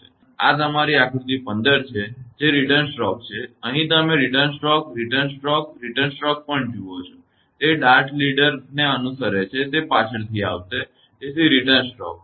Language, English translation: Gujarati, And figure 15 also, this is your figure 15 that return stroke; here also you look return stroke, return stroke, return stroke; it follows the dart leader will come later; so, return stroke